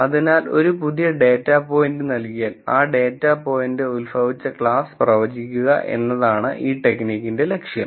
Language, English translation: Malayalam, So, the goal of this technique is, given a new data point, I would like to predict the class from which this data point could have originated